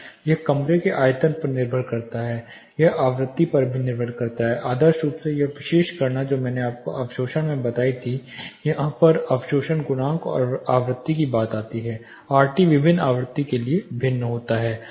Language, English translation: Hindi, It depends on the room volume it also depends on the frequency, ideally this particular calculation which I told you in the absorption here is where the absorption coefficient in frequencies come into picture RT varies from frequency to frequency